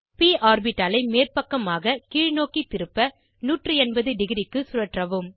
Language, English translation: Tamil, Rotate the p orbital to 180 degree to flip it upside down